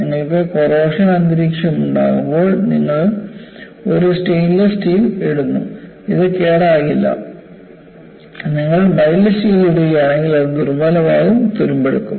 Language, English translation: Malayalam, When you have a corrosive environment, you put a stainless steel, it will not get corroded; if you put a mild steel, it will get corroded, you will have rusting so on and so forth